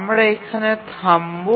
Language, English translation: Bengali, So, we'll stop here